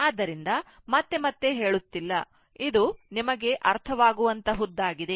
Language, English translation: Kannada, So, not saying again and again; it is understandable to you , right